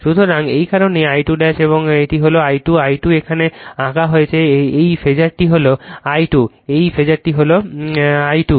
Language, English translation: Bengali, So, that is why this is my I 2 dash and this is I 2, I 2 is drawn here this phasor is I 2, this phasor is I 2